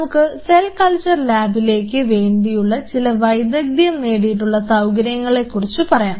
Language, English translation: Malayalam, We will talk about those a specialize situation specialized facilities within a cell culture lab if you wanted to develop